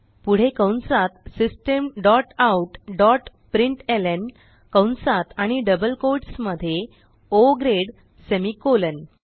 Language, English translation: Marathi, So Inside the brackets type System dot out dot println within brackets and double quotes The person is Minor semi colon